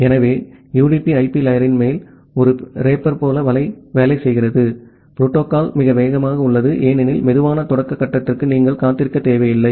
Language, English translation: Tamil, So, UDP works like a wrapper on top of the IP layer, the protocol is very fast, because you do not need to wait for the slow start phase